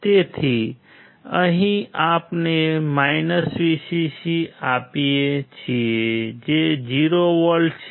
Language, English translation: Gujarati, So, here we give Vcc is 0V